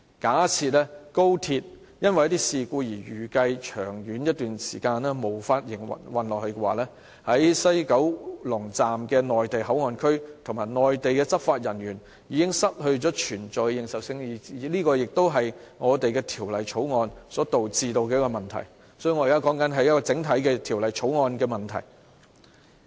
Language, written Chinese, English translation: Cantonese, 假設高鐵因為一些事故而預計在一段長時間之內無法繼續營運，西九龍站的內地口岸區及內地執法人員的保存便失去了認受性，這就是《條例草案》所導致的問題，所以，我現在說的是《條例草案》整體的問題。, In case a prolonged cessation of XRL services is expected owing to some incidents the continued presence of the Mainland Port Area in the West Kowloon Station and Mainland law enforcement officers will lose their legitimacy . This is an issue arising from the Bill so I am actually discussing a problem caused by the Bill as a whole